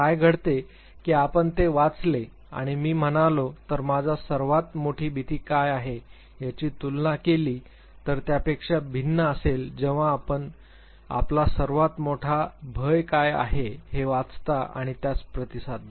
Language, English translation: Marathi, what happens that you read it and say if I say what my greatest fear is it would be different compare to when, you read what your greatest fear is and you respond to it